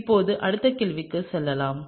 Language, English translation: Tamil, Now, let’s move on to the next question